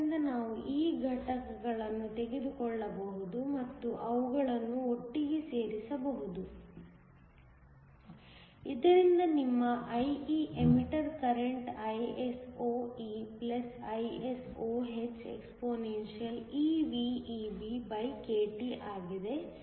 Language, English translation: Kannada, So, we can take these components and add them together, so that your IE which is the emitter current is (ISOe+ISOh)expeVEBkT